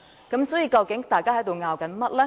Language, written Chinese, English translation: Cantonese, 究竟大家還在爭拗甚麼呢？, So what are we still arguing about?